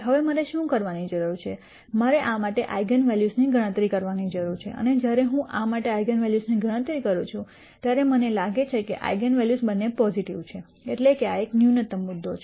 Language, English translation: Gujarati, Now, what I need to do is I need to compute the eigenvalues for this and when I compute the eigenvalues for this I nd the eigenvalues to be both positive, that means, that this is a minimum point